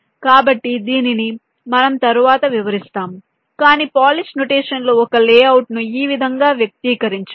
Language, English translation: Telugu, so this we shall again explain later, but this is how we can express a layout in the polish notation right now